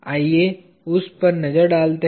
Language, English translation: Hindi, Let us look at that